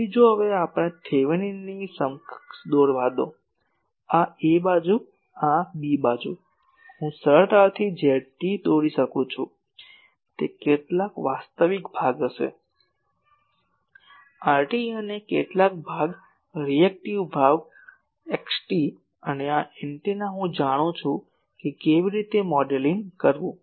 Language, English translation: Gujarati, So, if now let us draw the Thevenin’s equivalent so, the side a b this side, I can easily draw the Z T will be some real part so, R T and some a part reactive part X T and, this antenna I know how to model